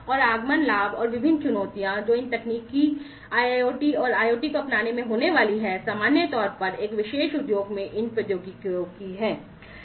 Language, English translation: Hindi, And the advent advantages, and the different challenges, that are going to be encountered in the adoption of these technologies IIoT and IoT, in general, these technologies in a particular industry